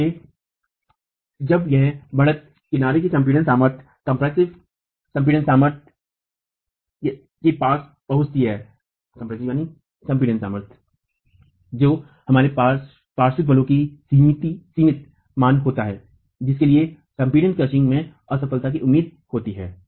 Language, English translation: Hindi, So, when this edge compressive stress approaches the compressive strength, we have a, we have the limiting value of lateral force for which the failure in crushing is expected